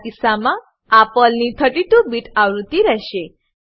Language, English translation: Gujarati, In my case, It will be 32 bit version of PERL